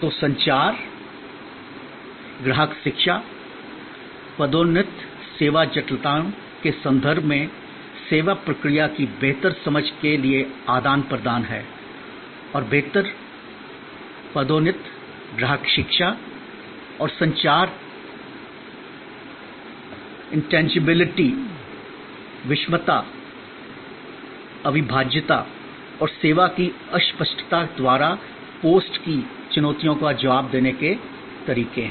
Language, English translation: Hindi, So, communication, customer Education, promotion are inputs to better understanding of the service process in terms of the service complexities and better promotion, customer education and communication are ways to respond to the challenges post by the intangibility, heterogeneity, inseparability and perishability of service